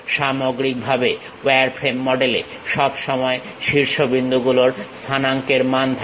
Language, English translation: Bengali, On overall, the wireframe model always consists of coordinate values of vertices